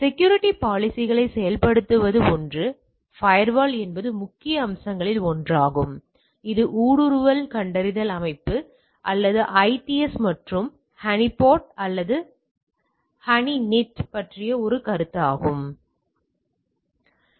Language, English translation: Tamil, So, implementing security policies one is the firewall is one of the major aspects other is the intrusion detection system or IDS and also there is a concept of honeypot or honeynet, right